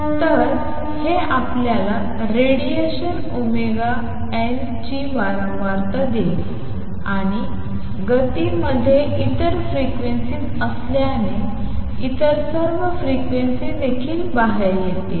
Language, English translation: Marathi, So, it will give you frequency of radiation omega n and since the motion also contains other frequencies all the other frequencies will also come out